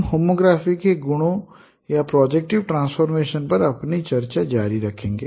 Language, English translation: Hindi, We will continue our discussion on the properties of homography or projective transformation